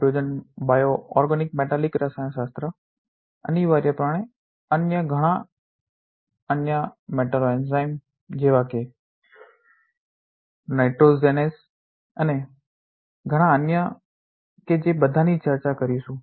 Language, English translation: Gujarati, Hydrogenas bioorganometallic chemistry essentially other many different other metalloenzymes such as nitrogenase and many others that we will discuss